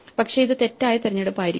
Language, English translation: Malayalam, But maybe this is the wrong choice